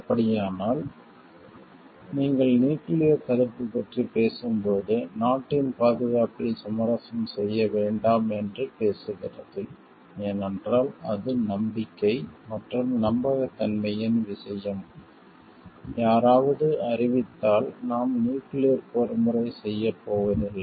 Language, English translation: Tamil, So, in that case when you are talking of nuclear deterrence so, it is talking of not to compromise with the security of the country, because it is a matter of trust and trustworthiness like, if somebody declares like we are not going to do a nuclear warfare